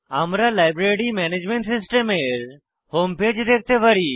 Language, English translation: Bengali, We can see the Home Page of Library Management System